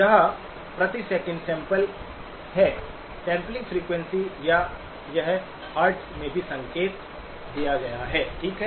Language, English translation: Hindi, This is in samples per second, sampling frequency or it is also indicated in Hertz, okay